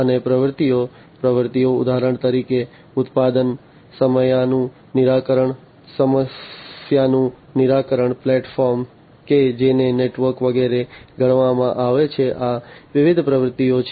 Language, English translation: Gujarati, And the activities, activities for example production, problem solving, platform that is considered the network etcetera, these are the different activities